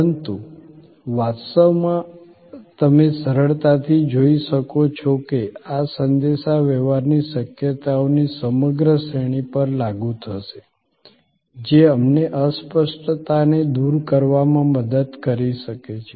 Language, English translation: Gujarati, But, actually you can easily see that, this will apply to the entire range of communication possibilities, that can help us overcome intangibility